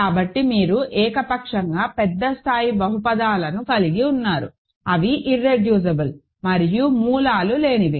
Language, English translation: Telugu, So, you have arbitrarily large degree polynomials, which are irreducible and which have no roots